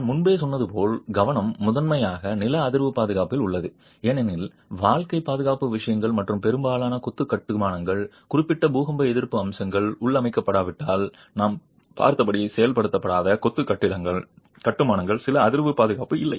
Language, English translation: Tamil, The focus as I said even earlier is primarily on seismic safety because life safety matters and very often masonry constructions, unreinforced masonry constructions as we have seen unless there are specific earthquake resistant features built in do not have seismic safety